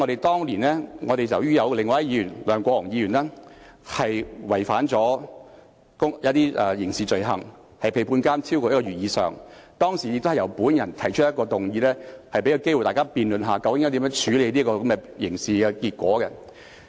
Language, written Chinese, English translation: Cantonese, 當年，前議員梁國雄觸犯一些刑事罪行，被判監超過1個月，當時亦是由我提出議案，給大家機會辯論究竟應如何處理這個刑事結果。, Former Legislative Council Member LEUNG Kwok - hung was once convicted of criminal offences and accordingly sentenced to imprisonment for more than one month . It was I who proposed a motion at that time to give Members an opportunity to debate what to do with this criminal outcome